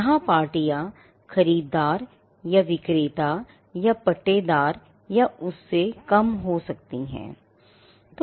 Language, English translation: Hindi, So, the parties here could be, the buyer or the seller or the lessee or lesser